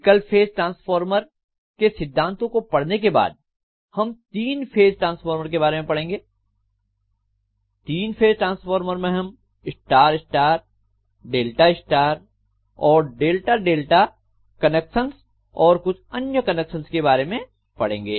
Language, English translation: Hindi, After looking at all these single phase transformer principles then we will be going over to three phase transformers, in three phase transformers we will be looking at star star, start delta, delta star and delta delta connection and any other special connections